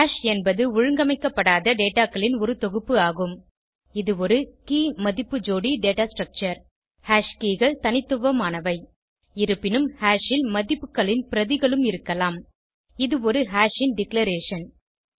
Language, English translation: Tamil, Hash is an unordered collection of data Its a key/value pair data structure Hash keys are unique However, Hash can have duplicate values This is the declaration of a hash